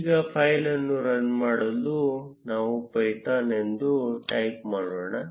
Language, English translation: Kannada, Now, to run the file let us type python